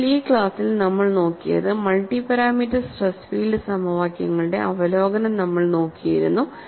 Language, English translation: Malayalam, So, in this class, what we had looked at was, we had looked at a review of multi parameter stress field equations